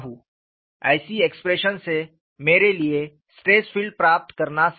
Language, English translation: Hindi, wWith such an expression, it is possible for me to get the stress field